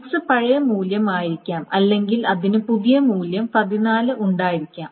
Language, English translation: Malayalam, Now what may happen is that x may have been the old value or it may have the new value 14